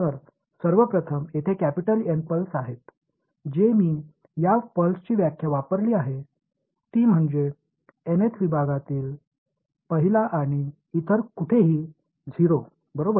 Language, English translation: Marathi, So, first of all there are capital N pulses that I have used the definition of this pulse is that it is 1 inside the nth segment and 0 everywhere else right